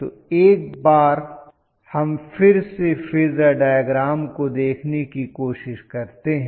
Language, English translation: Hindi, So let us try to look at the phasor diagram once again